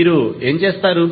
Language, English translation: Telugu, What you will do